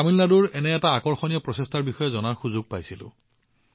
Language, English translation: Assamese, I also got a chance to know about one such interesting endeavor from Tamil Nadu